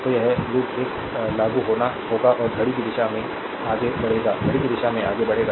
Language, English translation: Hindi, So, this loop one will apply and we will move clock wise, we move clock wise